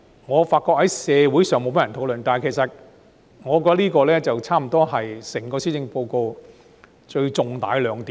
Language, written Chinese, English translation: Cantonese, 我發覺這一點在社會上沒有多少人討論，但我認為這差不多是整份施政報告最大的亮點。, While noticing that this point has not been discussed much in the community I find it to be almost the biggest highlight in the entire Policy Address